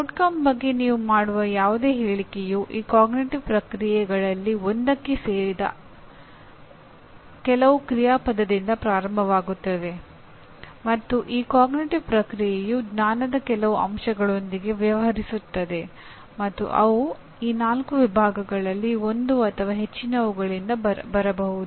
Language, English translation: Kannada, Any statement that you make about outcome will start with some action verb belonging to one of these cognitive processes and these cognitive process deals with some elements of knowledge and elements of knowledge may come from one or more of these four categories